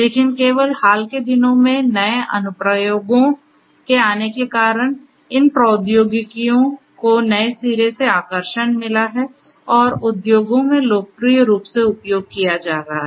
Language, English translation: Hindi, But only in the recent times, because of the newer applications that are coming up, these technologies have got renewed attractiveness and are being used popularly in the industries